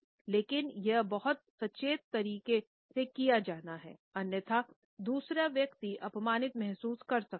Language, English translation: Hindi, But, it has to be done in a very conscious manner; otherwise the other person may feel insulted